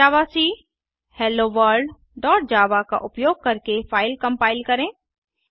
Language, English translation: Hindi, Compile the file using javac Hello World dot java